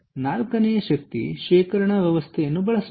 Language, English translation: Kannada, ok, the fourth one is: use energy storage systems